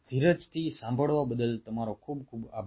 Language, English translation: Gujarati, thanks for your patience listening